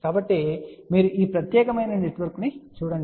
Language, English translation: Telugu, So, if you look at just this particular network